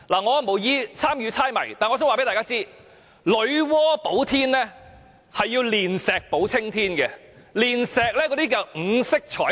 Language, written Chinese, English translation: Cantonese, 我無意參與這個猜謎遊戲，只想告訴大家，女媧補天是要煉石補青天的，而所煉的是五色彩石。, I have no intent to join this guessing game but just want to tell Members that Nuwa patched up the sky by melting down some stones the five - coloured stones